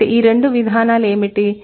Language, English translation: Telugu, So, what are the two mechanisms